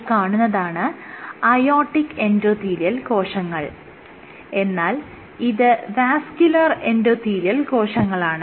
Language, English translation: Malayalam, So, this is aortic endothelial cells and this is vascular endothelial cells EC stands for endothelial cells